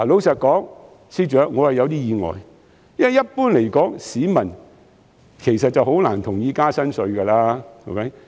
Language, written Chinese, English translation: Cantonese, 司長，坦白說，我是有點意外的，因為一般來說，市民很難會同意增加新稅項。, FS frankly I am a bit surprised because generally speaking it is very difficult for members of the public to agree to the introduction of new taxes